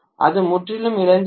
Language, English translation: Tamil, That is completely lost